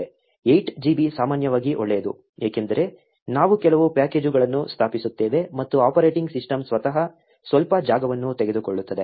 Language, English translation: Kannada, 8 GB is usually good, since we will be installing some packages and the operating system itself take some space